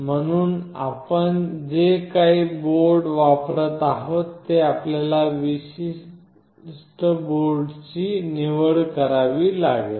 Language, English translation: Marathi, So, whatever board you are using you have to select that particular board